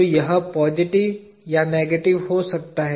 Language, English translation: Hindi, So, it could be positive or negative